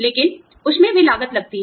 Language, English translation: Hindi, But, that also costs money